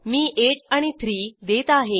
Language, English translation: Marathi, I will enter as 8 and 3